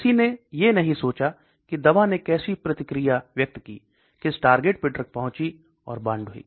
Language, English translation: Hindi, Nobody bothered about how the drug reacted, which targets it went and found to okay